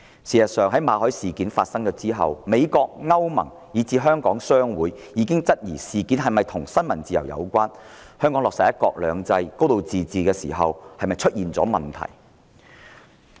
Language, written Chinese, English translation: Cantonese, 事實上，馬凱事件發生後，美國、歐盟，以至香港商會已質疑事件是否與新聞自由有關，以及香港在落實"一國兩制"及"高度自治"時是否出現問題。, As a matter of fact after the Victor MALLET incident the United States the European Union and even the chambers of commerce of Hong Kong have questioned if the incident has anything to do with freedom of the press and whether there is any problem with the implementation of one country two systems and a high degree of autonomy in Hong Kong